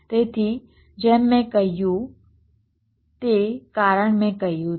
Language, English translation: Gujarati, so, as i have said, the reason i have mentioned